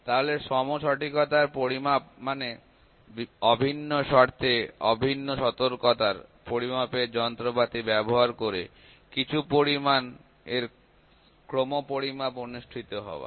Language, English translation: Bengali, So, measurement of equal accuracy means a series of measurements of some quantity performed using measuring instrument of identical accuracy under identical conditions